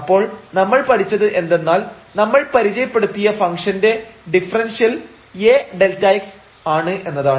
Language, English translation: Malayalam, So, what we have learnt now that the differential of the function which we have introduced as dy which was this term A into delta x